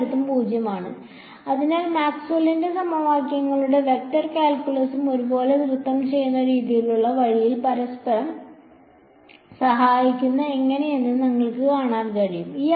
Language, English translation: Malayalam, Is 0 everywhere right, so, you can see how Maxwell’s equations and vector calculus the sort of going like a like dance all most helping each other along the way